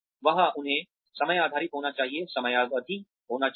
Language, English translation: Hindi, There, they should be time based, there should be a timeline